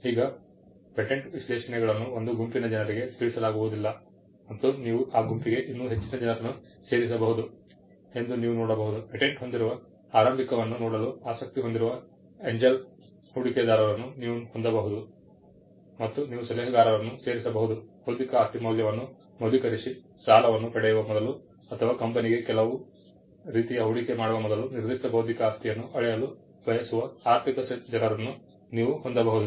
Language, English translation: Kannada, Now, you can see that patent specifications are not addressed to one set of people and you could add many more to this group, you can have angel investors who are interested in looking at a startup which has a patent, you could add consultants who would value intellectual property intellectual property value verse, you could have financial people who want to gauge a particular intellectual property before advancing a loan or before giving making some kind of an investment into the company